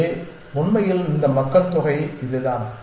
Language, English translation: Tamil, Now, take this whole population here